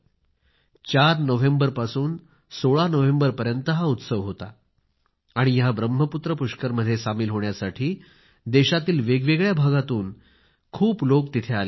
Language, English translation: Marathi, This festival was held between 4th and 16th November, and people had come from all corners of the country to take part in this Brahmaputra Pushkar